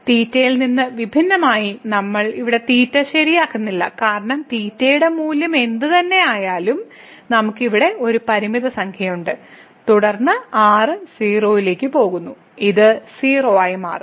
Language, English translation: Malayalam, So, independent of theta, we are not fixing theta here because whatever the value of theta is we have a finite number here and then, goes to 0 then this will become 0